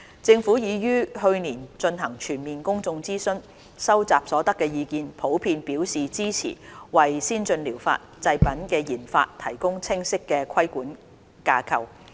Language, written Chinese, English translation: Cantonese, 政府已於去年進行全面公眾諮詢，收集所得的意見普遍表示支持為先進療法製品的研發提供清晰的規管架構。, Last year the Government conducted a public consultation on the proposed regulatory framework and the respondents generally supported the proposal as it could provide a clear regulatory framework for development of ATPs